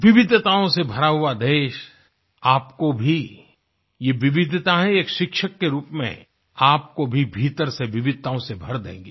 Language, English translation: Hindi, Our country is full of diversity and this wide range of diversity will also inculcate variations within you as a teacher